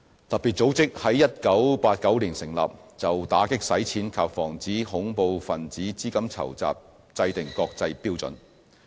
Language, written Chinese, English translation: Cantonese, 特別組織在1989年成立，就打擊洗錢及防止恐怖分子資金籌集制訂國際標準。, FATF established in 1989 sets international standards on combating money laundering and preventing terrorist financing